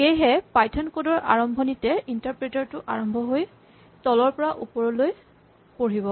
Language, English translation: Assamese, So, the interpreter always starts at the beginning of you of python code and reads from top to bottom